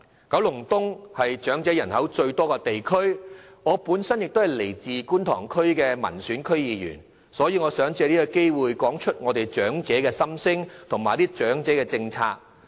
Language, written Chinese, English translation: Cantonese, 九龍東是長者人口最多的地區，我本身是觀塘區的民選區議員，所以也想藉此機會談談長者的心聲和長者政策。, Kowloon East is the district which has the largest elderly population and as an elected District Council member of the Kwun Tong District I would like to take this opportunity to talk about the aspirations of elderly people and policies for the elderly